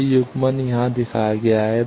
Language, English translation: Hindi, That coupling is shown here